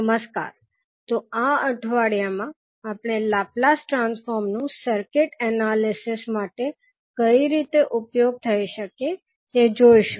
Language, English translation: Gujarati, Namaskar, so in this week we will see how we can utilize the Laplace transform into circuit analysis